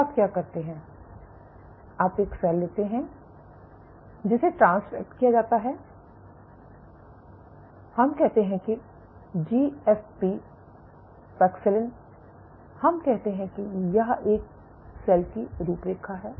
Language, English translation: Hindi, So, what you do is you take a cell which is transfected with let us say GFP paxillin let us let us say this is an outline of a cell, say this is outline of a cell